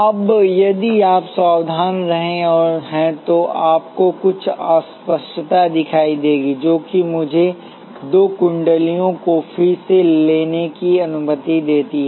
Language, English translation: Hindi, Now if you have been careful you would have notice some ambiguity that is let me take the two coils again